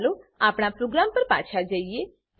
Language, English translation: Gujarati, Let us move back to our program